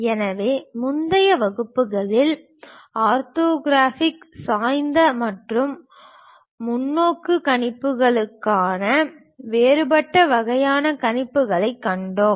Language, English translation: Tamil, So, in the earlier classes, we have seen different kind of projections as orthographic oblique and perspective projections